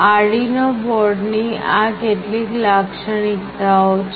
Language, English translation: Gujarati, These are some typical features of this Arduino board